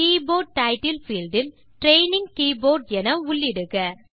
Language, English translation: Tamil, In the Keyboard Title field, enter Training Keyboard